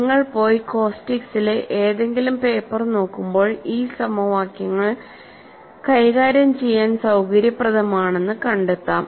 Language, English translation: Malayalam, When you go and look at any paper on caustics these equations were found to be convenient to handle